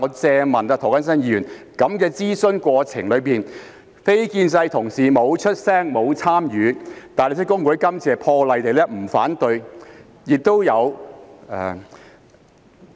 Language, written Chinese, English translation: Cantonese, 請涂謹申議員注意，在諮詢過程中，非建制派議員沒有發聲，沒有參與，而大律師公會這次亦破例不反對。, I wish to draw Mr James TOs attention to one point During consultation no non - establishment Member ever spoke up or participated in the process and very exceptionally HKBA did not raise any objection this time around